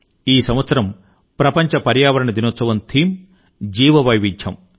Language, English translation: Telugu, The theme for this year's 'World Environment Day' is Bio Diversity